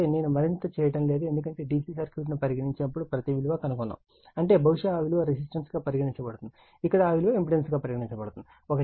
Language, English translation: Telugu, So, I am not doing further, because means every things are being done for DC circuit the same thing that probably there will be resistance, here it is impedance right